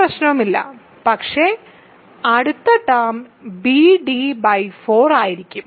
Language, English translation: Malayalam, So, far no problem, but the next term will be bd by 4 right